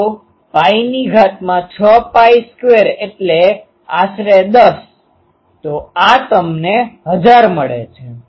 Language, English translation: Gujarati, So, pi to the power 6 pi square means roughly 10; so, this gives you 1000